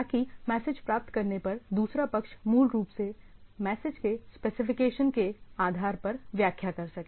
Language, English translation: Hindi, So, that the other party on receiving the message can basically decipher based on the specification of the message